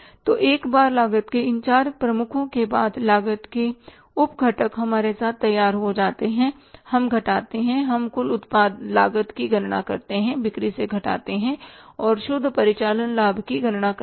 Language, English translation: Hindi, So, once all these four heads of the cost, sub components of the costs are ready with us, we subtract, we calculate the total cost, subtract from the sales and calculate the net operating profit